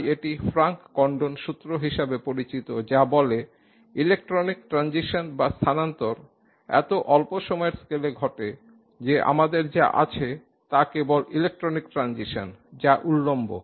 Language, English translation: Bengali, Condon and it's known as Frank Condon principle which by which electronic transitions are expected to take place in such a short time scale that what you have is only electronic transitions which are vertical